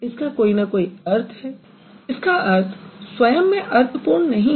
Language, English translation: Hindi, It does have some meaning but that is not the complete meaning